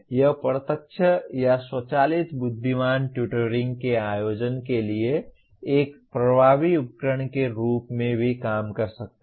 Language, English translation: Hindi, It can also serve as an effective tool for organizing direct or automatic intelligent tutoring